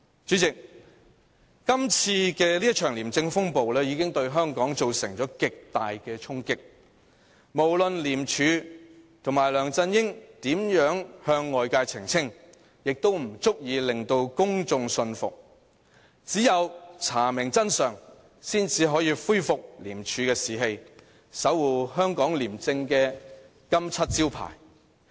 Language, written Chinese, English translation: Cantonese, 主席，這一場廉政風暴已對香港造成極大衝擊，無論廉署和梁振英如何向外界澄清，也不足以令公眾信服，只有查明真相，方可恢復廉署的士氣，守護香港廉政的金漆招牌。, President this ICAC storm has dealt a heavy blow to Hong Kong . No matter how hard ICAC and LEUNG Chun - ying try to explain people will not be convinced . It is only when the truth is revealed through an investigation that we can see staff morale in ICAC restored and its name as a trustworthy guardian of probity in Hong Kong revived